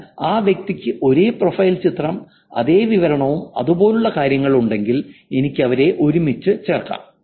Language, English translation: Malayalam, But if the person has the same profile picture, same description and things like that, I can put them together